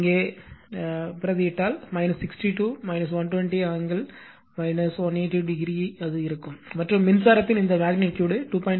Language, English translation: Tamil, If you substitute here, so it will be minus 62 minus 120 angle will be minus 182 degree and this magnitude of the current will be mentioned 2